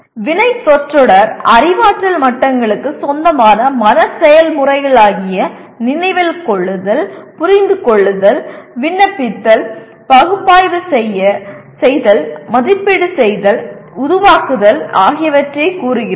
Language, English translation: Tamil, Verb phrase states the mental process belonging to any of the cognitive levels namely Remember, Understand, Apply, Analyze, Evaluate, and Create